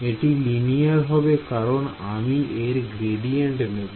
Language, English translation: Bengali, It will be linear only because, when I am taking the gradient